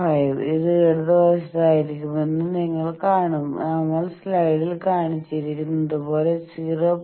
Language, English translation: Malayalam, 5 it will be to the left of this and as we have shown in the slide that 0